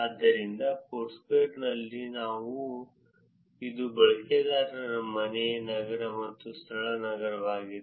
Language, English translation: Kannada, So, in Foursquare, it is user home city and venue city